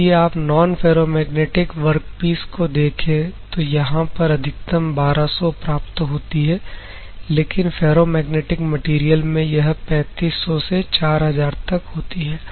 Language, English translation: Hindi, If you see the non ferromagnetic work piece, the maximum that is achieved is 1200, but in case of ferromagnetic material, it is approximately in between 3500 to 4000 ok